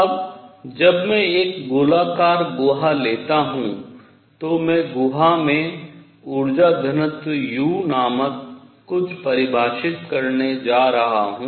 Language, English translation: Hindi, Now when I take a spherical cavity I am going to define something called the energy density u in the cavity